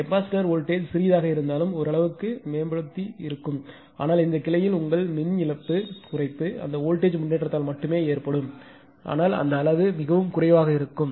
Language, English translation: Tamil, Whatever little bit because of this capacitor this voltage this voltage will improved because of the improvement this voltage also to some extent will improved right, but your power loss at this branch, reduction will be just only due to this voltage improvement, but that magnitude will be very less